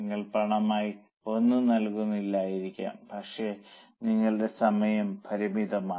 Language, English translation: Malayalam, Maybe you are not paying anything in cash but your time is limited